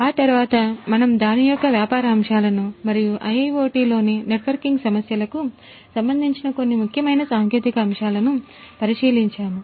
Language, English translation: Telugu, Thereafter we looked into the business aspects of it and also some of the very important technological aspects particularly concerning the networking issues in IIoT